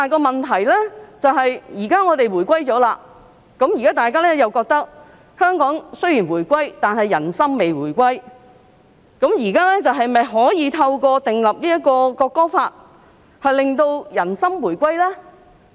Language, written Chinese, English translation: Cantonese, 現在香港已經回歸中國，但有人覺得人心並未回歸，問題是現在是否可以透過訂立《條例草案》而令人心回歸呢？, Now Hong Kong is reunited with China but there is the view that the peoples hearts have yet to be reunited . The question is Can the peoples hearts be reunited through the enactment of the Bill?